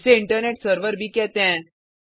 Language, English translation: Hindi, It is also known as Internet server